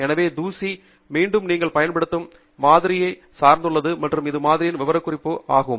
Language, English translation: Tamil, So, dust is something that again depends on the kind of sample you are using and it also depends on the specification of the sample